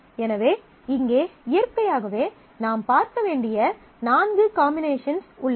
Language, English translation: Tamil, So, naturally you have four possible combinations that you need to look at